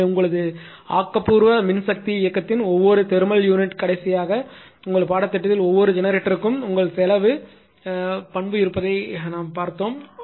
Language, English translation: Tamil, So, every thermal units come our optimal operation of power system in the last ah your course we have seen that every generator has a your cost characteristic right